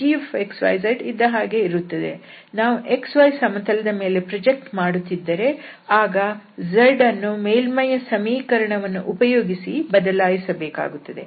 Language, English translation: Kannada, So, g x, y, z will remain as it is the only thing if we are projecting on the xy plane then the z has to be replaced from the surface using the surface